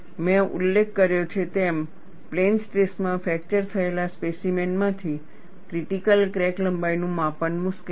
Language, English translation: Gujarati, As I mentioned, measurement of critical crack length from fractured specimen in plane stress is difficult